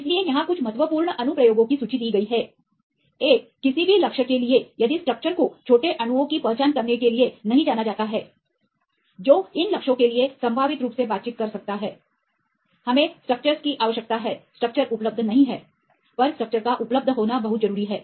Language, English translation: Hindi, So, here is list of some of the important applications, one is for any target if the structure is not known to identify the small molecules, which can potentially interact to these targets, we require the structures, the structure is not available then it is very important to have a structure right